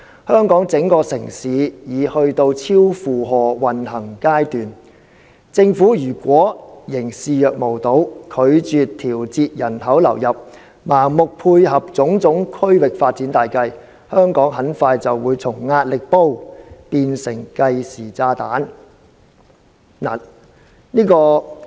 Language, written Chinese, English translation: Cantonese, 香港整個城市已去到超負荷運行階段，政府如果仍視若無睹，拒絕調節人口流入，盲目配合種種區域發展大計，香港很快就會從壓力煲變成計時炸彈。, If the Government keeps on turning a blind eye to these problems refuses to adjust the number of inward migrants and blindly supports all kinds of regional development plans Hong Kong will turn from a pressure cooker to a time bomb very soon